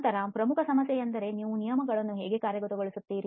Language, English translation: Kannada, Then major problem is how do we implement the rules